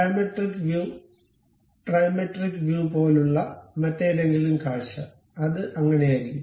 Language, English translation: Malayalam, Any other view like diametric view, trimetric view, it will be in that way